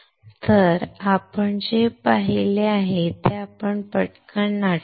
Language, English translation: Marathi, So, let us quickly recall what we have seen